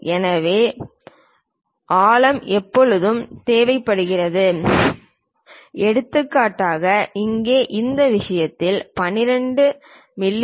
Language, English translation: Tamil, So, depth is always be required for example, here in this case 12 mm